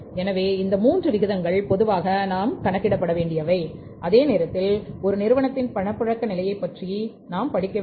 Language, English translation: Tamil, So, these three ratios normally we calculate work out while we try to study the liquidity position of the firm